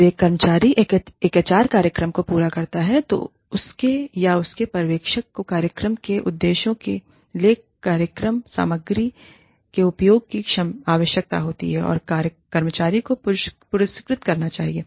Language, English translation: Hindi, When an employee, completes an HR program, his or her supervisor should require, the use of the program material, and reward the employee, for meeting or exceeding, program objectives